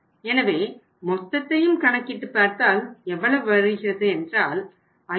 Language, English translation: Tamil, So total if you work out this works out total works out as how much that is 5705